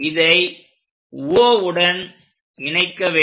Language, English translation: Tamil, Join O with that line